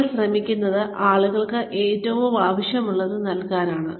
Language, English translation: Malayalam, You are trying to, give people, what you think, they need most